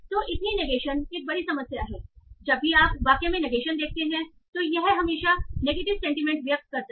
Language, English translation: Hindi, So, is it that whenever you have negation in the sentence, that it always convey a negative sentiment